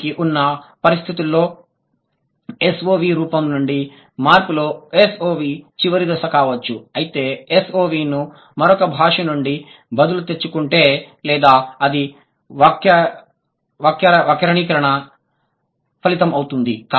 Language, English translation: Telugu, The conditions are SOV may be a final stage in a change from SVO if SOV is either borrowed from another language or it is the result of grammaticalization